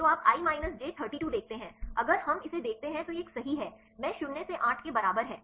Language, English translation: Hindi, So, you see i minus j 32, if we see this one right if you see this one; i minus j equal to 8